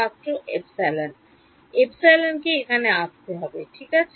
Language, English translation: Bengali, Epsilon needs to come in that right